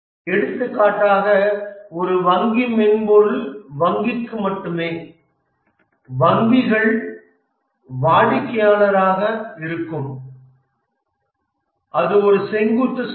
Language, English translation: Tamil, For example, a banking software is only the banks will be the customer and that's a vertical market